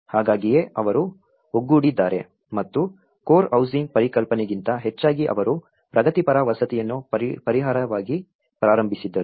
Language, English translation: Kannada, So that is how they have come together and they have come up with rather than a core housing concept they started with a progressive housing as a solution